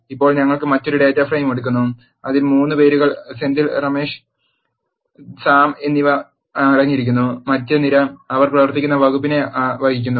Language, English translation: Malayalam, Now, we are taking another data frame which contains 3 names Senthil Ramesh and Sam and the other column carries the department, where they are working